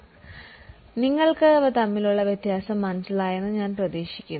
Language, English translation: Malayalam, So, I hope you are getting the difference